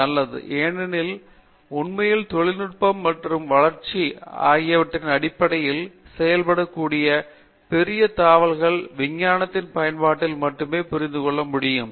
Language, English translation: Tamil, Fine because, the really the large jumps that can be made in terms of technology and development can be understood only by the application of the science as if itÕs well understood